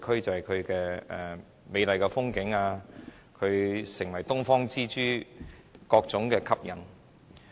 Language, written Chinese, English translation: Cantonese, 它風景美麗，成為東方之珠，有着各種吸引力。, Thanks to its beautiful sceneries Hong Kong has become the Pearl of the Orient with different types of attractions